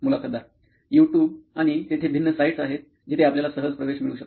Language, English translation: Marathi, YouTube and there are different sites where you get access to